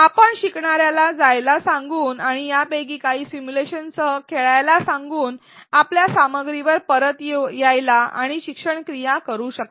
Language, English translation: Marathi, You can ask the learner to go and play with some of these simulations and come back to your content and do some learning activity